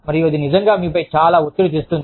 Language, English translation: Telugu, And, that really puts a lot of pressure, on you